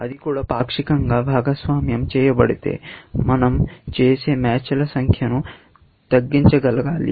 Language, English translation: Telugu, That even, if they are shared partially, we should be able to minimize the number of matches that we do